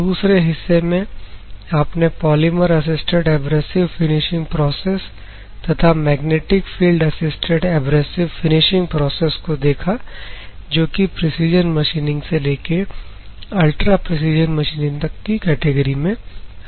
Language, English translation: Hindi, The second part was to be are going to see like polymer assisted abrasive finishing processes, and magnetic field assisted abrasive finishing processes come under the category of precision machining to ultra precision machining